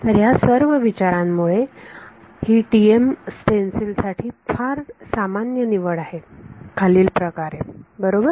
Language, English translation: Marathi, So, with these considerations its sort of very common choice for the TM stencil is as follows right